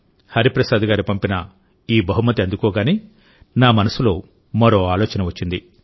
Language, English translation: Telugu, When I received this gift sent by Hariprasad Garu, another thought came to my mind